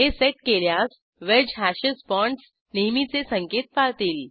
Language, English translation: Marathi, If set, the wedge hashes bonds will follow the usual convention